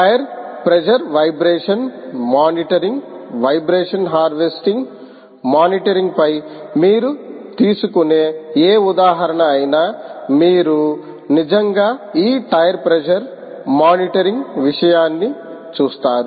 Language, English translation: Telugu, any example you take on, ah, vibration monitoring, vibration, ah harvesting monitoring, you will actually come across this tire pressure monitoring